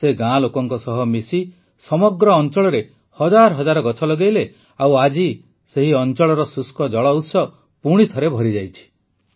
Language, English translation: Odia, Along with fellow villagers, he planted thousands of trees over the entire area…and today, the dried up water source at the place is filled to the brim once again